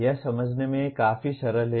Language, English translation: Hindi, This is fairly simple to understand